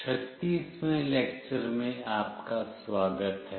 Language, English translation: Hindi, Welcome to lecture 36